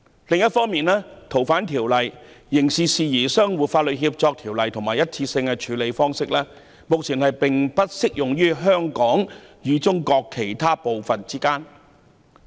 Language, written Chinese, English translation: Cantonese, 另一方面，目前《逃犯條例》、《刑事事宜相互法律協助條例》及單一個案方式移交安排，並不適用於香港與中國其他部分。, Moreover the current Fugitive Offenders Ordinance the Mutual Legal Assistance in Criminal Matters Ordinance and the arrangement for the case - based surrender of fugitive offenders are not applicable to Hong Kong and other parts of China